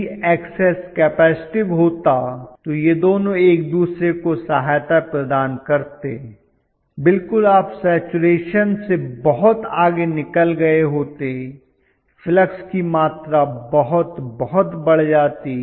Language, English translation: Hindi, If the Xs had been capacitive these two would have aided each other, absolutely you would have gone way beyond saturation, very very huge amount of you know flux